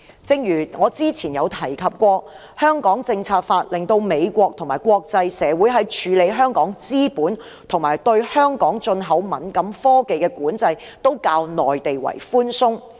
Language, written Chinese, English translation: Cantonese, 正如之前提到，《香港政策法》令美國及國際社會在處理香港資本及對香港進口敏感科技的管制都較內地寬鬆。, As mentioned earlier owing to the Hong Kong Policy Act Hong Kong is subject to less stringent control on capital flow and import of sensitive technologies imposed by the United States and the international community as compared to that of the Mainland